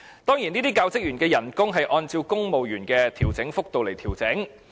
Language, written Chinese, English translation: Cantonese, 當然，這些教職員的薪酬均按照公務員薪酬調整幅度來調整。, Of course such staff receive a pay adjustment in line with that of the civil service